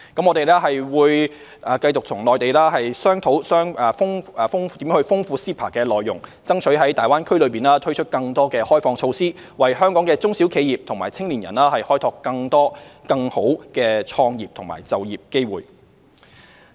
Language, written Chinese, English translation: Cantonese, 我們會與內地繼續商討如何豐富 CEPA 的內容，爭取在大灣區內推出更多開放措施，為香港中小企及青年人開拓更多更好的創業和就業機會。, We will continue to discuss with the Mainland how to enrich the content of CEPA and strive to introduce more liberalization measures in the Greater Bay Area to develop more and better business and employment opportunities for SMEs and young people in Hong Kong